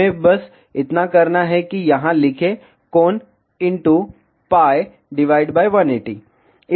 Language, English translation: Hindi, All we need to do is just write here, angle into pi by 180